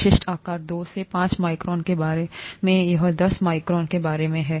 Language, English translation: Hindi, Typical sizes, about two to five microns this is about ten microns